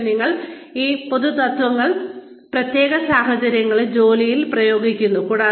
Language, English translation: Malayalam, But, you apply these general principles, to specific situations, on the job